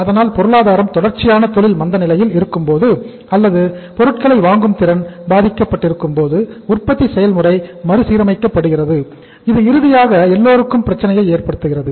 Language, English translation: Tamil, So when the economies are in the in the persistent industrial recession or the purchasing power is affected, production processes are readjusted so ultimately it creates the problem for all